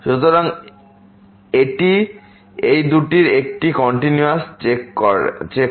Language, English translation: Bengali, So, it is a continuity check of these two